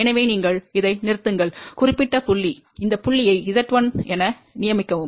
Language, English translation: Tamil, So, you stop at this particular point, designate this point as Z 1